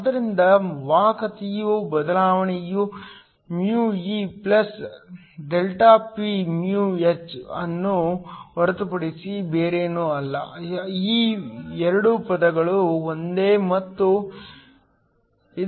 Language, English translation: Kannada, So, the change in conductivity Δσ is nothing but Δne μe + ΔPμh, these 2 terms are the same and equal to this